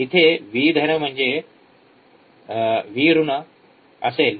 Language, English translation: Marathi, So, here will be V plus here will be V minus